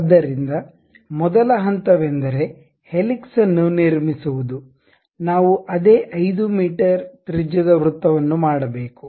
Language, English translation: Kannada, So, the first step is to construct helix we have to make a circle of same 5 meters radius